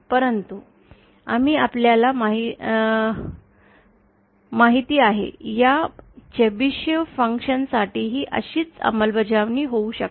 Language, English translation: Marathi, But if we, you know, we can have a similar implementation for this Chebyshev function as well